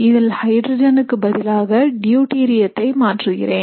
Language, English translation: Tamil, In this experiment I substitute the hydrogens with say deuterium